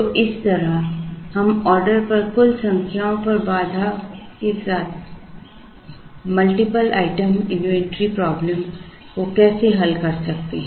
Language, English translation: Hindi, So, this is how we solve a multiple item inventory problem with constraints on the total number of orders